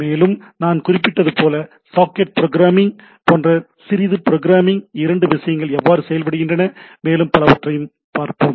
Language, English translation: Tamil, And also, we will try to, as I was mentioning that we look at little bit of programming like socket programming; how you can how two things works and etcetera right